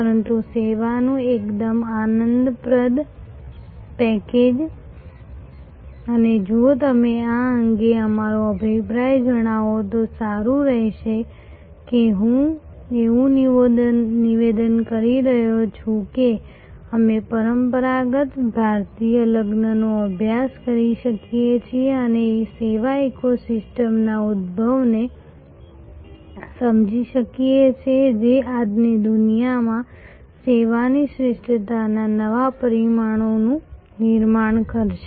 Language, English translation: Gujarati, But, quite enjoyable package of service and it will be nice if you share your opinion on this the statement that I am making that we can study a traditional Indian wedding and understand the emergence of service eco system which will create new dimensions of service excellence in today's world